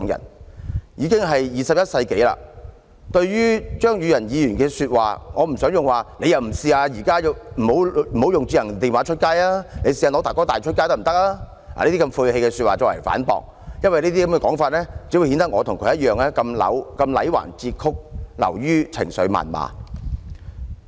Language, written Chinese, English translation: Cantonese, 現時已經是21世紀，對於張宇人議員的說話，我不想用"你不如試一試現時不用智能電話，改用'大哥大'電話出街吧"這類晦氣說話來反駁，因為這樣只會顯得我與他同樣的戾橫折曲，流於情緒謾罵。, It is now the 21 century and I do not want to rebut Mr Tommy CHEUNGs remarks by asking him to use a first generation mobile phone instead of a smart phone when he is on the move . If I make such a sarcastic remark one verging on emotional diatribe it will only mean that my argument is just as faulty and distorted as his